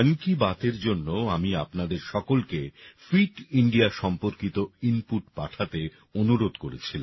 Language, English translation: Bengali, For this 'Mann Ki Baat', I had requested all of you to send inputs related to Fit India